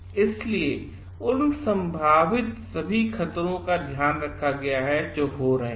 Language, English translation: Hindi, So, that have been taken care of all the possible hazards that would be happening